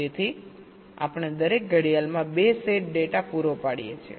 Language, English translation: Gujarati, so we are supplying two sets of data every clock